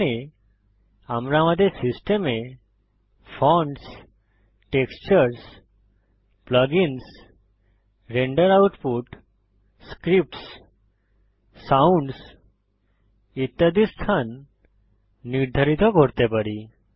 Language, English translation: Bengali, Here we can set the location of Fonts, Textures, Plugins, Render output, Scripts, Sounds, etc